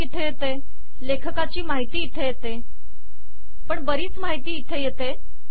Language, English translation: Marathi, Here the title comes here, here the author information comes but lots of information is coming